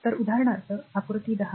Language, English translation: Marathi, 12 this is your figure 1